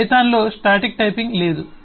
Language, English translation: Telugu, there is no static typing in python